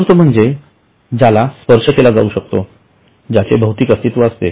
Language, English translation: Marathi, Tangible means, which is touch can, which is physically existence